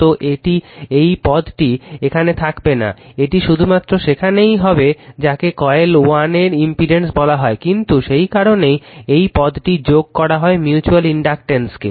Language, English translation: Bengali, So, these terms should not be there, it will be the only there you are what you call the impedance of the coil 1, but due to that you are what you call mutual inductance this term is added